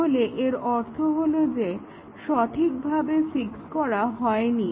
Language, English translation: Bengali, So, then, the meaning is that, the fix was not proper